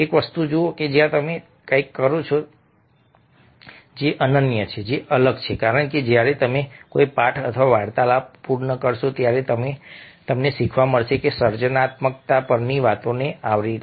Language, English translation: Gujarati, see, one of the things is that when you do something which is unique, which is different as you will get to learn when you complete the lessons or the the talks covered, it talks on creativity